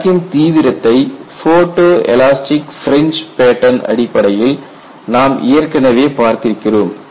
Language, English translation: Tamil, And you know for all this we have earlier looked at a severity of crack from photo elastic fringe pattern